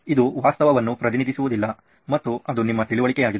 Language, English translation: Kannada, It’s not reality itself represented, and it’s to your understanding